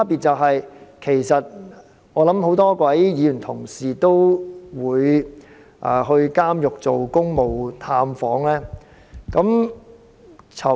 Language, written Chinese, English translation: Cantonese, 我相信很多議員同事都會到監獄作公務探訪。, I believe many Honourable colleagues must have made official visits to prisons